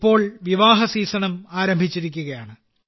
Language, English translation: Malayalam, The wedding season as wellhas commenced now